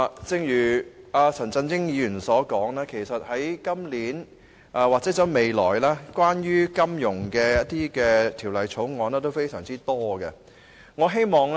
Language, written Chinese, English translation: Cantonese, 正如陳振英議員所說，今年或未來提交立法會有關金融業的法案非常多。, As pointed out by Mr CHAN Chun - ying a number of bills relating to the financial sector have been introduced into the Legislative Council this year or will be introduced in the near future